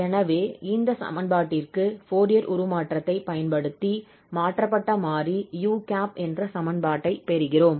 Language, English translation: Tamil, So we applied the Fourier transform to this equation and now we got the equation in this transformed variable u hat